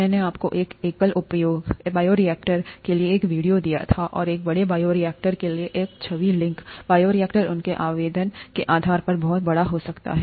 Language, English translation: Hindi, I had given you a video for a single use bioreactor and an image link for a large bioreactor, bioreactors can be very large depending on their application